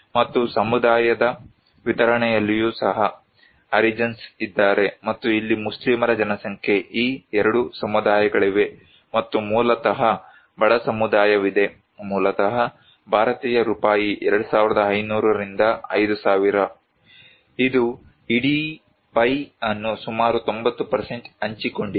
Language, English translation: Kannada, And distribution of community also, you can see that there is a segregations that Harijans are there and here are the Muslims populations, these two communities and there is a poor community basically around Indian rupees 2500 to 5000, this shared the entire pie almost 90%